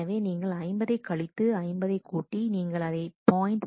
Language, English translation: Tamil, So, you subtract 50 you add 50 you multiply by 0